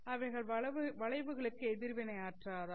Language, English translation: Tamil, Are they insensitive to bends